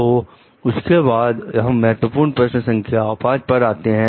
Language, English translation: Hindi, So, then we come to the key question 5